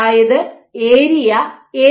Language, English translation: Malayalam, So, this area A